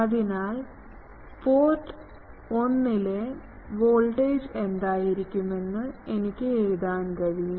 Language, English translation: Malayalam, So, I can write that, that, what will be the voltage at port 1